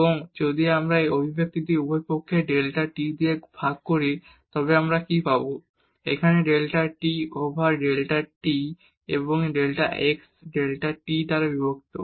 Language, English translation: Bengali, And, if we divide this expression both the sides by delta t then what we will get; here the delta z over delta t and this delta x divided by delta t